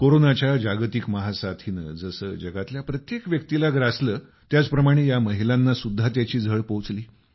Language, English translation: Marathi, Just like the Corona pandemic affected every person in the world, these women were also affected